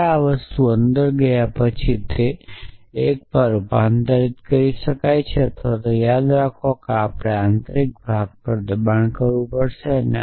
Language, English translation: Gujarati, So, once this negation go inside then it go inside the and sign convert it to an or remember that we have to push to the inner most place